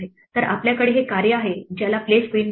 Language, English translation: Marathi, So, we have this this function here which is called place queen